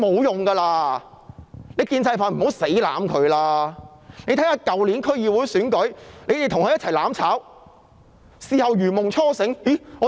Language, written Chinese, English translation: Cantonese, 大家看看去年的區議會選舉，他們與林鄭月娥一起"攬炒"，事後才如夢初醒。, Let us look at the District Council Elections last year . They went down together with Carrie LAM and woke up to reality only afterwards